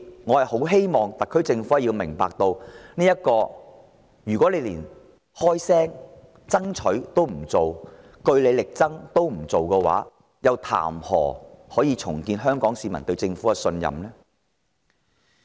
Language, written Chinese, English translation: Cantonese, 我希望特區政府明白，如果連開聲爭取、據理力爭都不做的話，豈能叫香港市民對政府重拾信任？, I hope the SAR Government can understand that if they cannot bring themselves even to voice their demands and vigorously present their case how can the Hong Kong public restore their trust in the Government?